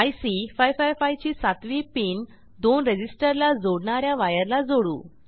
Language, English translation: Marathi, Now we will connect the 7th pin of IC 555 to the wire connecting the two resistor